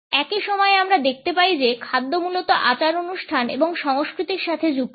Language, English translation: Bengali, At the same time we find that food is linked essentially with rituals and with culture